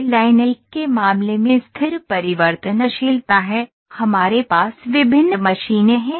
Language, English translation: Hindi, So, this is stable variability in case of line 1, we have different machines